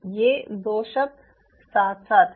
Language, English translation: Hindi, these two words go hand in hand